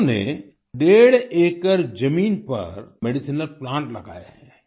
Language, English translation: Hindi, He has planted medicinal plants on one and a half acres of land